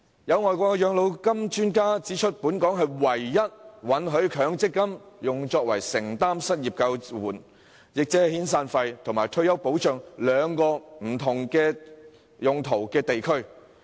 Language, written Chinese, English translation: Cantonese, 有外國養老金專家指出，本港是唯一允許把強積金用作承擔失業救援及退休保障兩種不同用途的地區。, An overseas expert in pensions has pointed out that Hong Kong is the only place where MPF is used to serve two different purposes as unemployment assistance in the form of severance payments and retirement protection